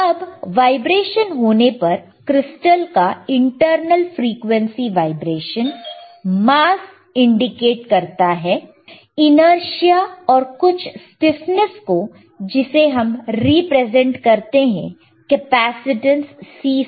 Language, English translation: Hindi, Now, on vibration, intervnal frequency vibration, mass if the crystal in is, if mass if crystal is indicating inertia and some stiffness represented by capacitance cC